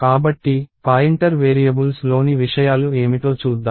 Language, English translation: Telugu, So, let us see what the contents of the pointer variables are